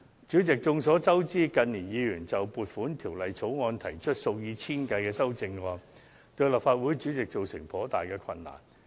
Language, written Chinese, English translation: Cantonese, 主席，眾所周知，近年有議員就《撥款條例草案》提出數以千計的修正案，成為立法會主席所須面對的一大難題。, President as we all know the fact that some Members have proposed thousands of amendments to the Appropriation Bill in recent years has become a major challenge facing the President of this Council